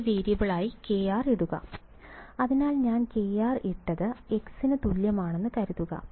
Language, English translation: Malayalam, Put k r as a new variable right; so supposing I have put k r is equal to x ok